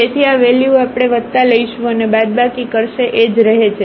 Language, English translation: Gujarati, So, this value whether we take plus and minus will remain the same